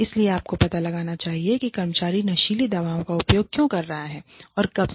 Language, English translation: Hindi, So, you must find out, why the employee has been using drugs, and how far, how long